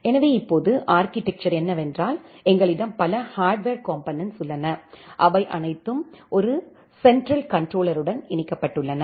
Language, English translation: Tamil, So now, the architecture is that we have multiple hardware components, which are there and all these hardware components are connected to a central controller